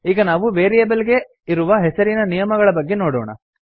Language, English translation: Kannada, Now let us see the naming rules for variables